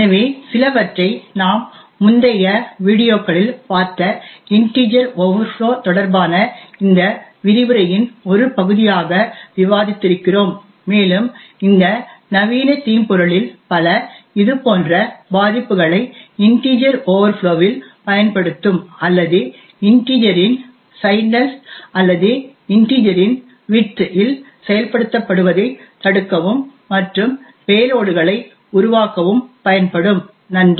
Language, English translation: Tamil, So some of these things we have actually discussed as part of this lecture corresponding to integer overflow which we have seen in the previous videos and many of these modern malware would use such vulnerabilities in integer overflow or signedness of integer or the width of integer to subvert execution and create payloads, thank you